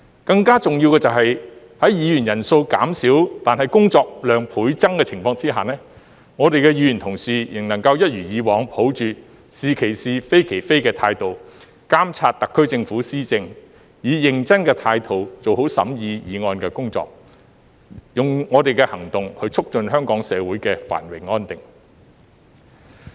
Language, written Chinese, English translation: Cantonese, 更重要的是，在議員人數減少但工作量倍增的情況下，議員仍能夠一如以往，抱着"是其是、非其非"的態度，監察特區政府施政，以認真的態度做好審議議案的工作，用我們的行動去促進香港社會的繁榮安定。, More importantly despite the reduced number of Members we were able to handle twice amount of work . As always Members continued to monitor the governance of the Government with perseverance and tell right from wrong; and scrutinize motions with a meticulous attitude and promote the prosperity and stability of the Hong Kong society with our actions